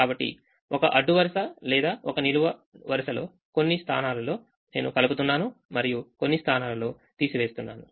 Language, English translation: Telugu, so within a row or within a column, in some places i am adding and some places i am subtracting